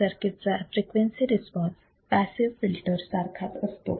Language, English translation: Marathi, The frequency response of the circuit is the same for the passive filter